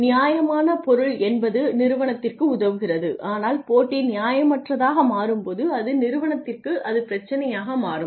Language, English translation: Tamil, By fair means great it helps the organization, but when the competition becomes unfair becomes unhealthy then it becomes a problem for the organization